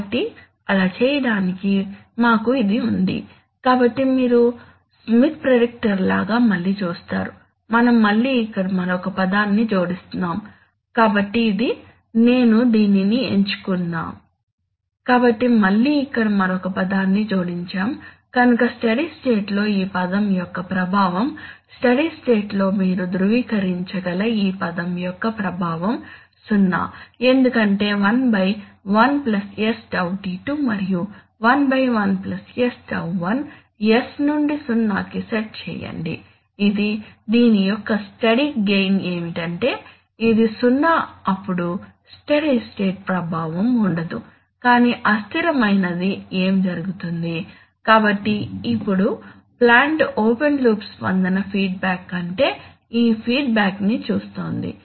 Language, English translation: Telugu, So to do that, we have this, so you see again just like Smith predictor, we are again adding another term here, so this, let me select this, so again adding another term here, now what is the effect of this term, the effect of this term in the steady state, in the steady state the effect of this term you can verify is 0 because 1 by 1 + s τ2 and 1 by 1+ s τ1 set s to 0, this the, steady gain of this is, this is 0 then the steady state no effect but in the transient what happens, so now the plant is seeing this feedback rather than open loop response feedback